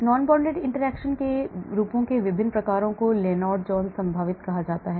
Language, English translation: Hindi, So different types for forms for non bonded interactions is called the Lennard Jones potential